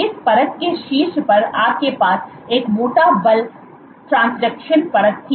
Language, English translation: Hindi, On top of which, this layer was more thicker you had a force transduction layer